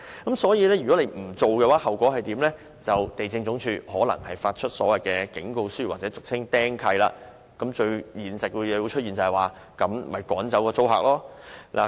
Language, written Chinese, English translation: Cantonese, 如果不依照程序申請，地政總署可能會發出警告書或使物業被"釘契"，最後的現實是業主會趕走租客。, If the owners do not follow the procedures to make the applications the Lands Department may issue warning letters and register them at the Land Registry . Eventually the tenants will be expelled by their owners